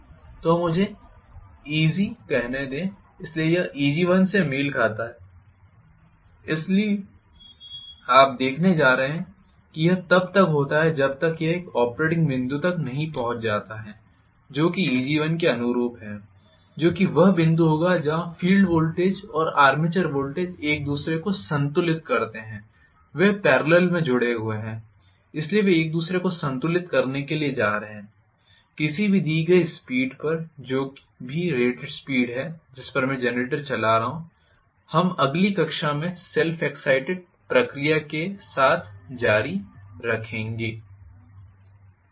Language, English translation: Hindi, So, let me say Eg1 probably, so this corresponds to Eg1, so you are going to see that this happens until it reaches an operating point which is corresponding to Eg1 which will be the point where the field voltage and the armature voltage balance each other, they are connected in parallel, so they are going to balance each other, at a given speed, whatever is the speed at which I am driving the generator, we will continue with the self excite process in the next class